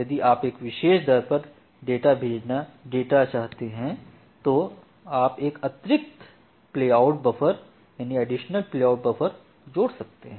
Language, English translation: Hindi, If you want data at that particular depth what you can do that you can add an additional playout buffer